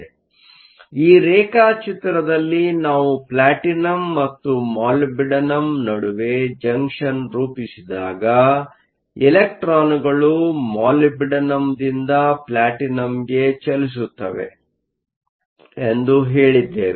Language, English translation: Kannada, So, in this diagram we said that when we form the junction between the Platinum and Molybdenum, electrons move from moly to platinum